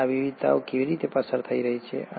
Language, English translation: Gujarati, And how are these variations are being passed on